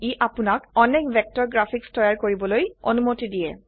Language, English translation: Assamese, It allows you to create a wide range of vector graphics